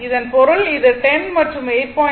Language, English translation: Tamil, So, that means, this one is 10 and this one is 8